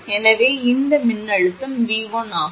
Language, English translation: Tamil, So, it is voltage is V 1